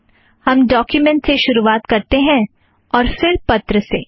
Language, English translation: Hindi, We begin the document and then the letter